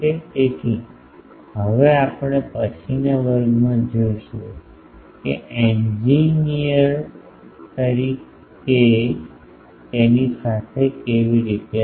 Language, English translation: Gujarati, So, now we will see how to play with that as an engineer in the next class